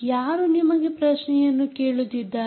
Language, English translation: Kannada, who is asking you the question